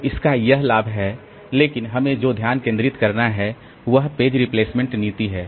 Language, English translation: Hindi, So, that is the advantage but what we have to concentrate on is the page replacement policy